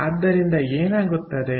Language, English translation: Kannada, so then, what is the